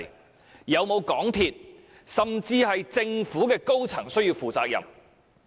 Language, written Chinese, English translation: Cantonese, 是否有港鐵公司甚或政府的高層需要負上責任？, Does any senior officer of MTRCL or even the Government have to take the blame?